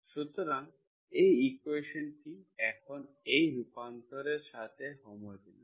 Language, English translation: Bengali, So this equation is now homogeneous with this transformation